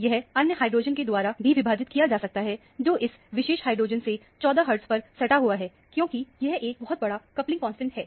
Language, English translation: Hindi, It is also split by another hydrogen, which is adjacent to this particular hydrogen by 14 hertz, because it is a very large coupling constant